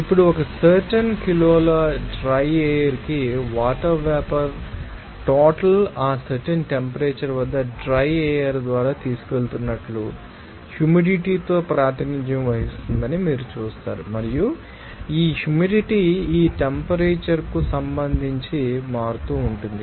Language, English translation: Telugu, Now, this you will see that the amount of water vapour per kg of dry air which is actually carrying by the dry air at that particular temperature will be represented by humidity and this humidity this amount will be changing with respect to temperature